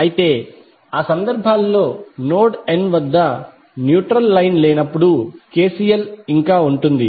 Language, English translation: Telugu, But in those cases when the neutral line is absent at node n KCL will still hold